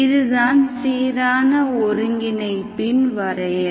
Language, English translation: Tamil, This is the definition of uniform convergence